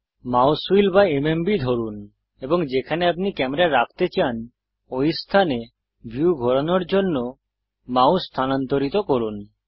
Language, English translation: Bengali, Hold the mouse wheel or the MMB and move the mouse to rotate the view to a location where you wish to place your camera